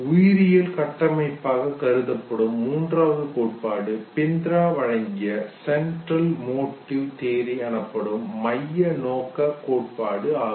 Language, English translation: Tamil, The third theory which is considered the biological framework is the central motif theory given by Bindra